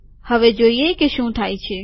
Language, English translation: Gujarati, Lets see what happens